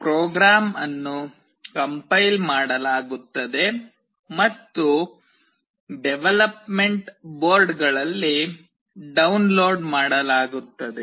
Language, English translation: Kannada, The program is compiled and downloaded onto the development boards